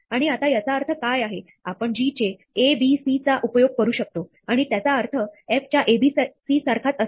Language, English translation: Marathi, And what this means is now that, we can also use g of a, b, c and it will mean the same as f of a, b, c